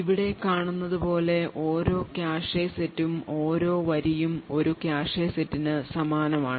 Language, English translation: Malayalam, And each cache set as we see over here, each row over here corresponds to a cache set